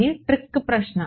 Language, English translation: Telugu, Minus trick question